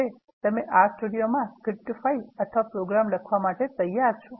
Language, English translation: Gujarati, Now you are ready to write a script file or some program in R Studio